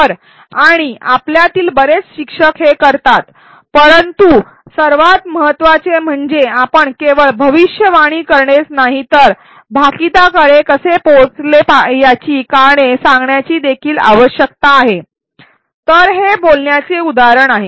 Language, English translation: Marathi, So, and many of us many teachers do it, but what is important is that we should require learners not only to make the prediction, but also to articulate the reasons as to how they arrived at the prediction so this is an example of articulation